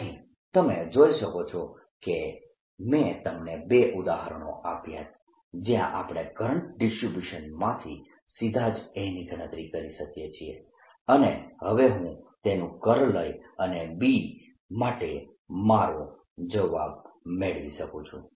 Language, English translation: Gujarati, so you see, i've given you two examples where we can calculate a directly from a current distribution, and now i can take its curl and get my answer for b